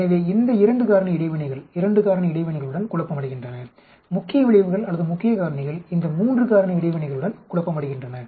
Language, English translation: Tamil, So these 2 factors interactions are confounded with 2 factor interactions and the main effects or main factors are confounded with these 3 factor interactions